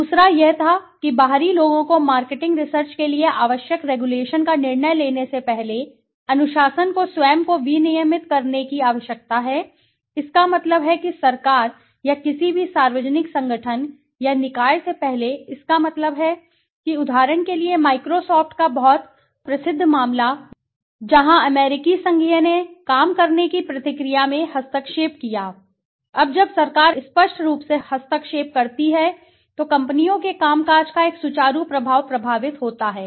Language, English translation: Hindi, The second was the need to self regulate the discipline before outsiders decide marketing research needed regulation, that means before the government or any public organization or body thought that, for example the very famous case of Microsoft where the US federal interfered in the process of working of Microsoft, Now when the government interferes obviously there is a smooth flow of functioning of the companies would get affected